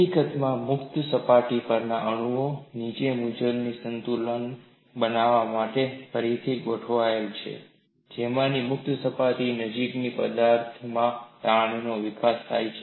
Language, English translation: Gujarati, In fact, atoms on the free surface and the ones below have to readjust to form an equilibrium thereby developing strain in the material close to the free surface